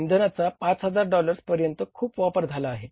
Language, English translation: Marathi, Fuel also we have used more by $5,000